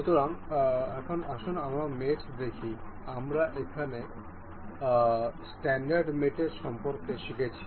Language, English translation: Bengali, So, now let us see the mates; we we we learned about the standard mates over here